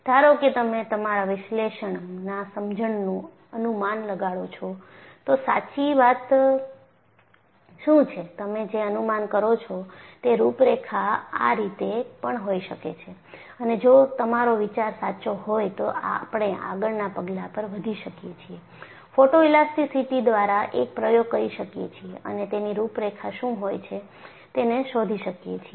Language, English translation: Gujarati, Suppose you anticipate from your analytical understanding, what is the nature, and predict this is how the contour could be, and if your thinking is correct, we can proceed to the next step, perform an experiment by photoelasticity, and find out what those contours represent